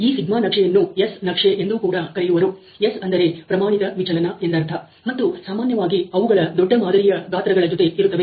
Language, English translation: Kannada, So, the σ chart is also better known as the S chart; S stands for the standard deviation, and they are typically with the larger sample sizes